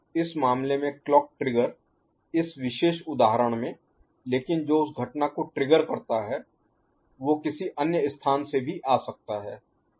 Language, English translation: Hindi, In this case the clock trigger in this particular example ok, but it that event that trigger can come from some other place also